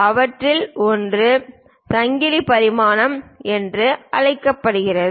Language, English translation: Tamil, One of them is called chain dimensioning